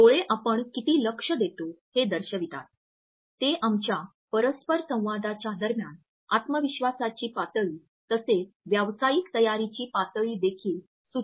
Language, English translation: Marathi, Eyes indicate the level of our interest; they also indicate the level of our confidence as well as the level of professional preparation during our interaction